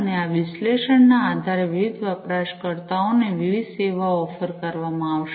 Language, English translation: Gujarati, And based on these analytics different services are going to be offered to the different users